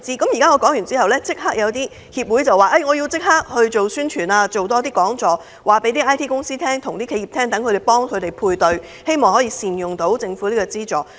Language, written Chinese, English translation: Cantonese, 我昨天發言後，有些協會表示要立刻宣傳、多辦講座，向 IT 公司和企業推廣，並協助配對，令企業能夠善用政府資助。, After listening to my speech yesterday many trade associations said that they would immediately promote TVP to IT companies and enterprises organize seminars and assist in matching so that enterprises can make good use of government subsidies